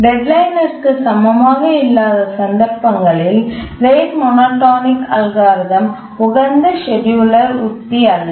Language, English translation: Tamil, So, in cases where deadline is not equal to the period, rate monotonic algorithm is not really the optimal scheduling strategy